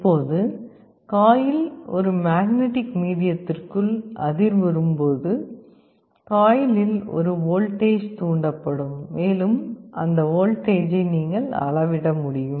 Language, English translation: Tamil, Now, as the coil vibrates inside a magnetic medium, a voltage will be induced in the coil and you can measure that voltage